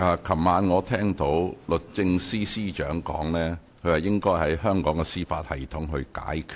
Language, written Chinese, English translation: Cantonese, 昨晚我聽到律政司司長說，問題應該在香港的司法系統內解決。, Last night I heard the Secretary for Justice say that this issue should be handled inside the Hong Kong judicial system